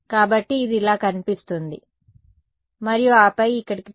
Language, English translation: Telugu, So, it is going to look like and then come back here right